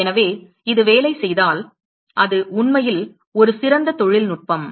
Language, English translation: Tamil, So, if this works it is really a great technology